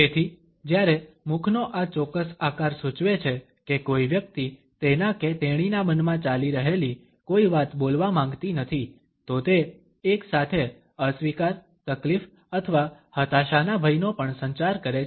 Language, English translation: Gujarati, So, whereas, this particular shape of the mouth indicates that a person does not want to a speak something which is going on in his or her mind, then it also simultaneously communicates a fear of disapproval, distress or frustration